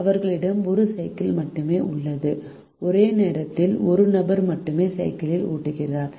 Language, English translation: Tamil, they have only one bicycle and only one person ride the bicycle at a time